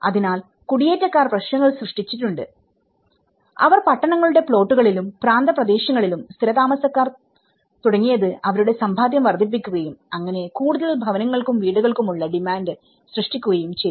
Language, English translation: Malayalam, So, they also the migrants have also created problems, you know they started settling down on plots and outskirts of the towns increasing their savings and thus creating a demand for more housing and houses